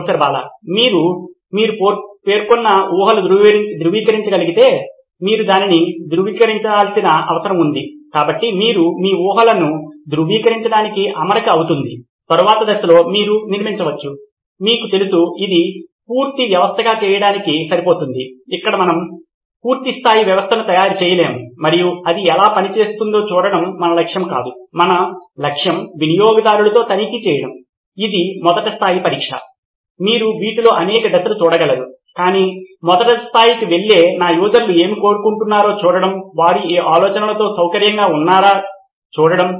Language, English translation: Telugu, The assumptions that you have mentioned if you can validate that, whatever you need to validate that, so this is going to be barebones skeleton just to validate your assumptions okay, then the next round you can sort of build, you know give it enough meet to make it a complete system, here we are not there to make a full fledged system and see how it works that is not our aim, our aim is to check with the users this is the first level of testing, you can do multiple rounds of these but the first level is to just go and see what is it that my users want, are they comfortable with this idea